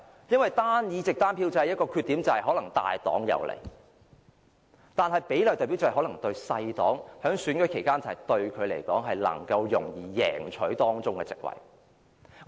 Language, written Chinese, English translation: Cantonese, 因為單議席單票制的一個缺點就是可能對大黨有利，但比例代表制可能令較小的政黨在選舉期間容易贏取當中的席位。, Because the single - seat single vote system may have the drawback of being advantageous to large political parties . On the other hand the proportional representation system may enable smaller political parties to win seats in an election more easily